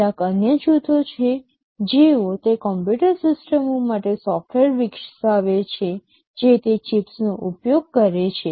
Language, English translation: Gujarati, There are some other groups who develop software for those computer systems that use those chips